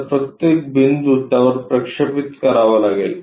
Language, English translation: Marathi, So, each point has to be projected onto that